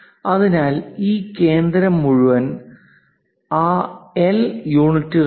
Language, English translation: Malayalam, So, this whole center is at that L units